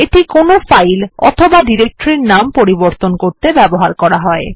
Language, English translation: Bengali, It is used for rename a file or directory